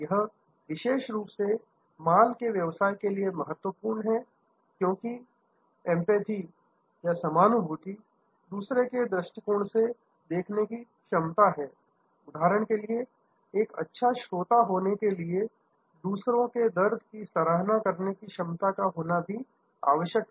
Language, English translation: Hindi, This is particularly, so as suppose to goods business, because empathy is the ability to see the situation from the other perspective, the ability to be approachable as for example, to be a good listener, the ability to appreciate the others pain